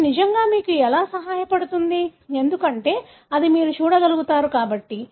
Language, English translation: Telugu, How does it really help you, something that you can see